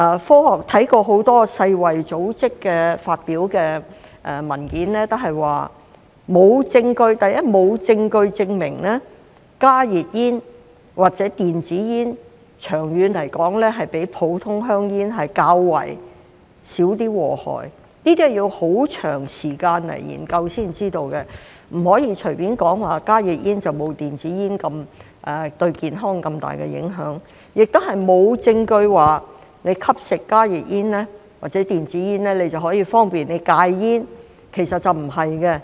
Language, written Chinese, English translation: Cantonese, 所以，世衞組織發表的很多文件均指出，沒有證據證明加熱煙或電子煙長遠來說比普通香煙較少禍害，這需要很長時間研究才知道，不可以隨便說加熱煙沒有電子煙對健康造成那麼大的影響，亦沒有證據證明吸食加熱煙或電子煙可方便戒煙。, According to many articles published by the World Health Organization there is no evidence that HTPs or e - cigarettes are less harmful than ordinary cigarettes in the long run and this requires a long time to study before we know the answer . One should not casually say that HTPs cause less harm to his health than e - cigarettes . Nor is there any evidence that smoking HTPs or e - cigarettes helps one to quit smoking